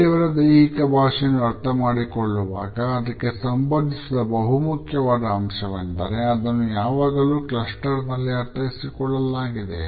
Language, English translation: Kannada, A very important aspect which is essentially related with the way we interpret body language of others is that it is always interpreted in clusters